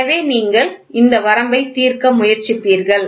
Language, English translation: Tamil, So, this you will try to solve limit